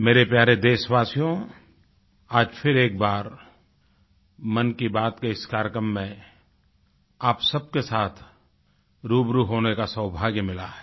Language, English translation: Hindi, My dear countrymen, I'm fortunate once again to be face to face with you in the 'Mann Ki Baat' programme